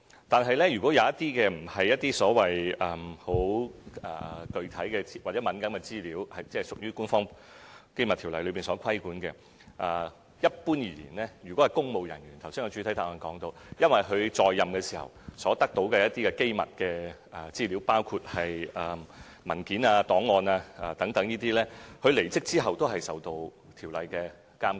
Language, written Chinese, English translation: Cantonese, 但如果那些並非該條例規管的具體或敏感資料，一般而言，正如我剛才在主體答覆提到，如果關乎公務人員，他在任時所得到的一些機密資料，包括文件、檔案等，在他離職後，都會受到該條例的監管。, However in case the information is not the specific or sensitive information under the scope of the Ordinance then generally speaking as pointed out in the main reply earlier if the information relates to the classified information obtained by public officials during their terms of office including documents and files and so on they must still abide by the Ordinance after leaving office